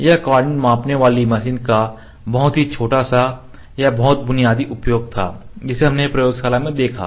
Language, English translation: Hindi, This was just a very trivial or very basic use of the coordinate measuring machine that we saw in the laboratory